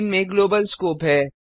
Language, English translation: Hindi, These have a Global scope